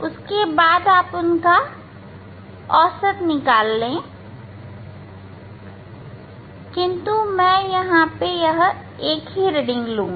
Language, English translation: Hindi, then find out the average of them, but I will take this one reading